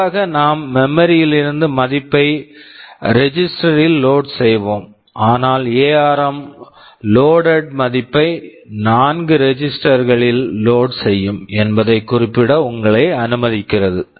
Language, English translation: Tamil, NLike normally we will load a value from memory into 1 a register, but ARM allows you to specify in such a way that the value loaded will be loaded into let us say 4 registers